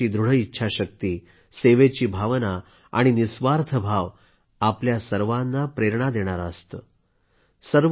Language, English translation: Marathi, In fact, their strong resolve, spirit of selfless service, inspires us all